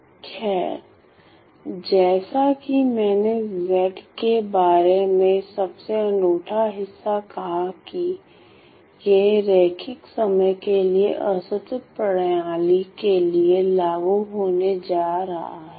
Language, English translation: Hindi, Well the as I said the most unique part about the Z transform is that, it is going to be applied for linear time invariant discrete system